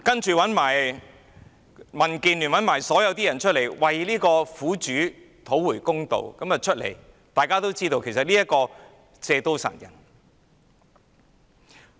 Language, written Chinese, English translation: Cantonese, 其後，民建聯及所有人站出來要為苦主討回公道，但大家都知道，其實這是要借刀殺人。, Subsequently the Democratic Alliance for the Betterment and Progress of Hong Kong and everyone else come forward to seek justice for the victim . However we all know that this is nothing but a move to kill with a borrowed knife